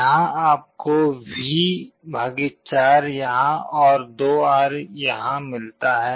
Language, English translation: Hindi, Here you get V / 4 here and 2R here